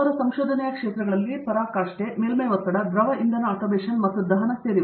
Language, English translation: Kannada, His areas of research include vecting and surface tension and liquid fuel atomization and combustion